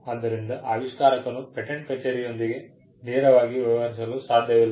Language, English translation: Kannada, So, it is not that an inventor cannot directly deal with the patent office